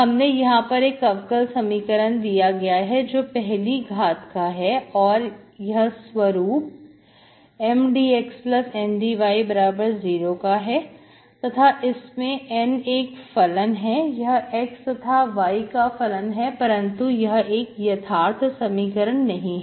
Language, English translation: Hindi, So we have given differential equation, given ODE, first order ODE as M dx plus N dy is equal to 0, M and N are functions of x and y is not exact